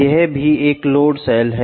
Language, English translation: Hindi, That is also a load cell